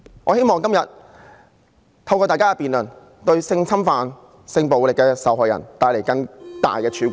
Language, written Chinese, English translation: Cantonese, 我希望今天透過大家的辯論，為性侵犯和性暴力的受害人帶來更大的曙光......, Hopefully through our debate today we will bring a brighter light of hope to the victims of sexual abuse and sexual violence